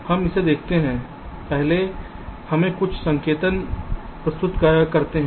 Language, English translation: Hindi, ah, first let us introduce some notations